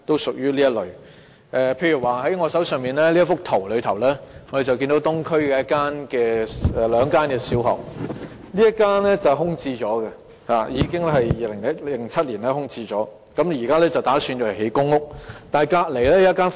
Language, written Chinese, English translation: Cantonese, 從我手中這幅圖可見，東區有這兩間小學，其中一間從2007年起已空置，現時當局打算用作興建公屋。, As shown by the photograph in my hand there are two primary schools in the Eastern District . The authorities are now planning to use the site of one of the premises which has been left vacant since 2007 for building public rental housing PRH